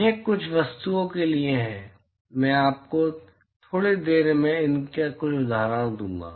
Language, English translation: Hindi, This is for certain objects, I will give you a few examples of these in a short while